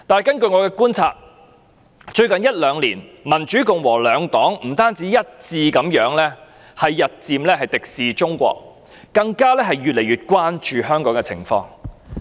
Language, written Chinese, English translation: Cantonese, 根據我的觀察，最近一兩年，民主、共和兩黨不但一致日漸敵視中國，更越來越關注香港的情況。, According to my observation the Democratic Party and the Republican Party of the United States are both increasingly hostile to China and increasingly concerned about the situation in Hong Kong